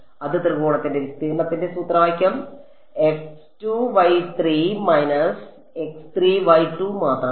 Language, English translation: Malayalam, That is just formula of area of triangle